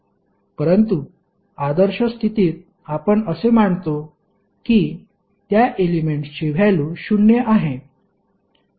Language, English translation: Marathi, But under ideal condition we assume that the value of that element is zero